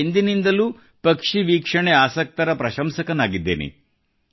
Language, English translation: Kannada, I have always been an ardent admirer of people who are fond of bird watching